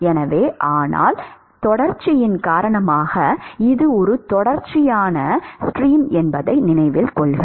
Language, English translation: Tamil, So, but because of continuity; so, note that it is a continuous stream